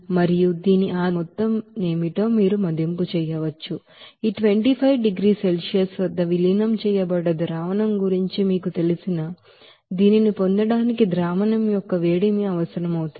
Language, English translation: Telugu, And based on which you can assess what will be the amount of you know, heat of solution to be required to get this you know of diluted solution at this 25 degree Celsius